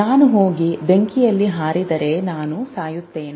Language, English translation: Kannada, If I go and jump in the fire, I will die